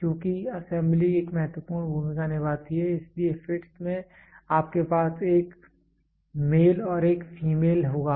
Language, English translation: Hindi, Because assembly plays an important role so, in fits you will have a male and a female